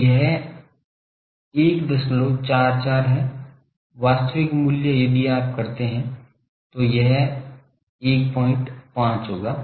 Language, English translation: Hindi, 44 the actual value is if you do it will be 1